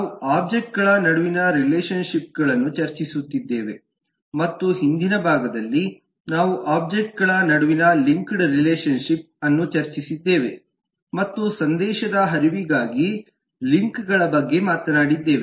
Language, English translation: Kannada, we are discussing relationships among object and in the earlier part we have discussed the linked relationship between the object and talked about the links to for message flow